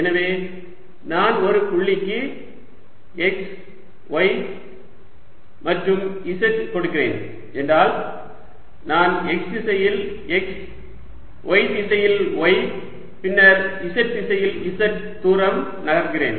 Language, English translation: Tamil, so if i am giving a point x, y and z, i am moving in direction by x, y, direction by y and then z direction by z